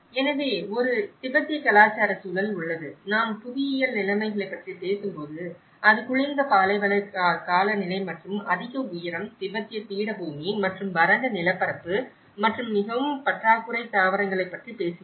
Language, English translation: Tamil, So, there is a Tibetan cultural environment, when we talk about the geographic conditions, it talks about the cold desert climate and high altitude, Tibetan plateau and the arid topography and a very scarce vegetation